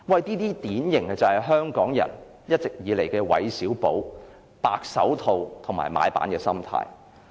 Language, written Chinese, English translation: Cantonese, 這些就是香港人一直以來典型的"韋小寶"、"白手套"和買辦心態。, This is the typical WEI Xiaobao white gloves and comprador mentality of Hong Kong people